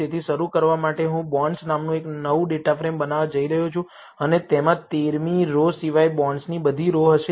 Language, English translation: Gujarati, So, to start with, I am going to create a new data frame called bonds new and it will have all rows of bonds except the 13th row